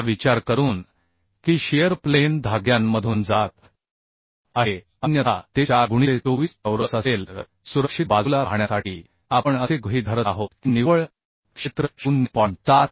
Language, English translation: Marathi, 78 thinking that shear plane is passing through the threads otherwise it will be pi by 4 into 24 square So to be in safe side we are assuming that the net area will be reduced to 0